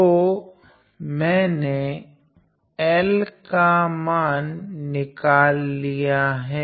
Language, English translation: Hindi, So, I have evaluated over L